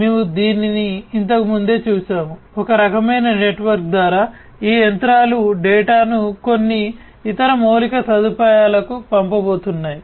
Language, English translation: Telugu, We have seen this before, through some kind of a network, through some kind of a network, these machines are going to send the data to some other infrastructure